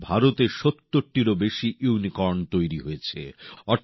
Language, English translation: Bengali, Today there are more than 70 Unicorns in India